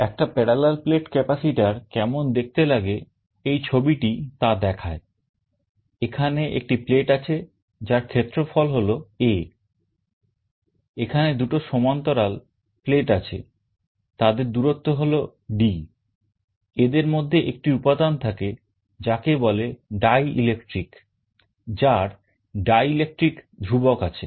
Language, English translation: Bengali, There is a plate whose area is A, there are two parallel plates, the separation is d, and there is a material in between called dielectric, which has a dielectric constant